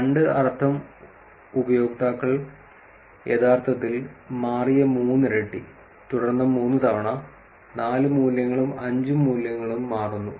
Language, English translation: Malayalam, Two means twice the value users actually changed, and then three times, four values and five values changes